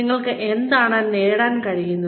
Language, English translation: Malayalam, What you are able to achieve